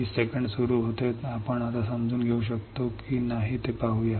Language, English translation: Marathi, 20 seconds starts now let us see whether you can understand or not